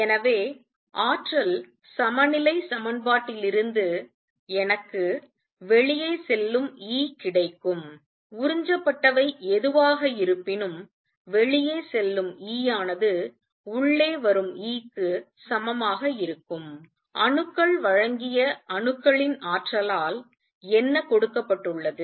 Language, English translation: Tamil, So, from the energy balance equation I am going to have going have E going out is going to be equal to E coming in plus whatever has been observed, whatever has been given by the atoms energy given by atoms